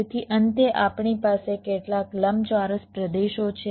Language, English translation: Gujarati, so finally, we have some rectangular regions